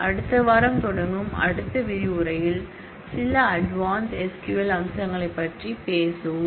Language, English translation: Tamil, In the next module that we start next week, we will talk about some of the advanced SQL features